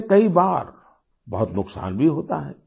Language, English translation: Hindi, This also causes havoc at times